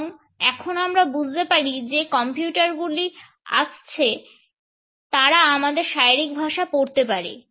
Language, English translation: Bengali, And now we feel that computers are coming, which can read our body language